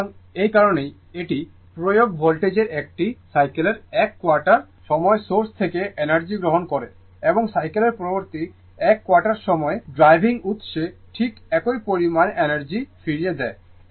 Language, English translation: Bengali, So, that is why, it receives energy from the source during 1 quarter of a cycle of the applied voltage and returns exactly the same amount of energy to driving source during the next 1 quarter of the cycle right